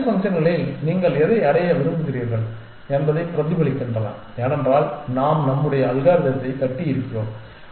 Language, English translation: Tamil, The fitness functions reflect what you want to achieve, because in the way that we have built our algorithm